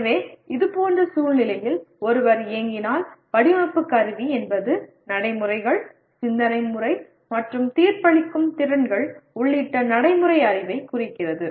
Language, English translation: Tamil, So in such situation if one is operating, the design instrumentality refers to procedural knowledge including the procedures, way of thinking and judgmental skills by which it is done